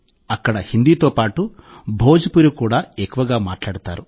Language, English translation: Telugu, Bhojpuri is also widely spoken here, along with Hindi